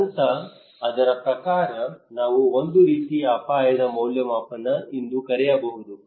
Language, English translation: Kannada, This phase, according to that, we can call a kind of risk appraisal